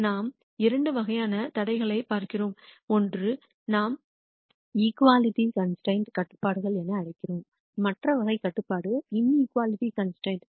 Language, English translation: Tamil, We look at two types of constraints, one are what we call as equality constraints the other type of constraints are inequality constraints